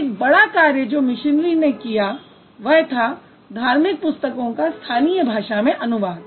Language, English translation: Hindi, And a major role that missionaries played in 18th century, they translated religious books into local languages